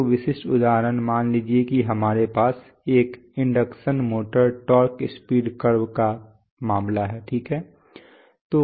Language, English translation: Hindi, So typical example is suppose we have, say we have the case of an induction motor torque speed curve okay